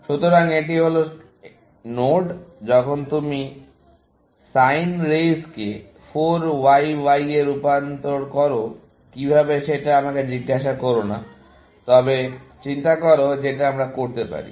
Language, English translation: Bengali, So, this is the node, when you can transform it into sin raise to 4 Y Y; do not ask me how, but think for it, which we can